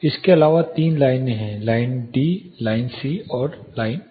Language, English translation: Hindi, Apart from this there are three lines; line D line C and E